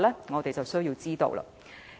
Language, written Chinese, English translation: Cantonese, 我們實有需要知道。, These are what we need to know